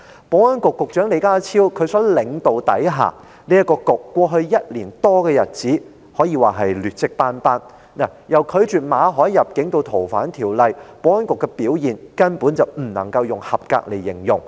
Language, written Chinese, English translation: Cantonese, 保安局在李家超局長領導下，在過去1年多的日子裏，可謂劣跡斑斑，由拒絕馬凱入境至修訂《逃犯條例》，保安局的表現根本不能用合格來形容。, Under the leadership of Secretary John LEE the Security Bureau has had a deplorable track record over the past year or more ranging from the refusal of Victor MALLETs entry to the proposed amendment of the Fugitive Offenders Ordinance FOO . The performance of the Security Bureau cannot be described as being up to standard